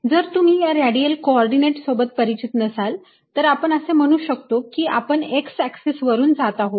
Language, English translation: Marathi, if you are not comfortable with radial coordinates, let us say i move along the x axis